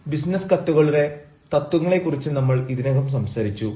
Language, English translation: Malayalam, we have already talked about the principles of business letters